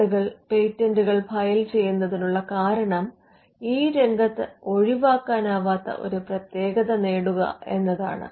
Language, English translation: Malayalam, Now the reason why people file patents are to get a exclusivity in the field